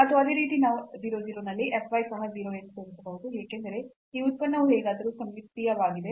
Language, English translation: Kannada, And similarly we can show that f y at 0 0 is also 0, because this function is symmetric anyway